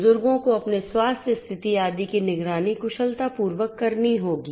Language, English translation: Hindi, Elderly people monitoring their health condition etcetera efficiently will have to be done